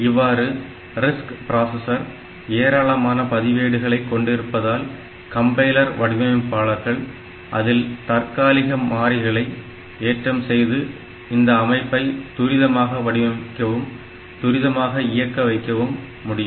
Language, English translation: Tamil, So, that way this RISC processor, if it has large number of registers then the compiler designer can put a number of temporary variables onto those registers and make the system fast, make the design fast